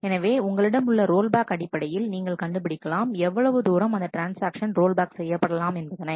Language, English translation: Tamil, So, you have to in terms of rollback, you have to determine how far to rollback that transaction